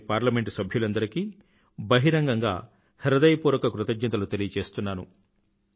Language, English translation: Telugu, Today, I publicly express my heartfelt gratitude to all MP's